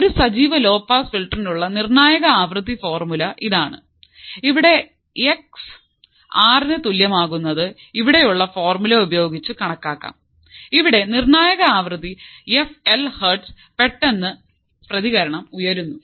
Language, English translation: Malayalam, So, this is the critical frequency formula for an active filter for the high pass filter and here x equals to R can be calculated using the formula which is here when ideally the response rises abruptly at the critical frequency f l hz